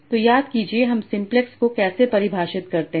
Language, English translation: Hindi, So remember how do we define simplex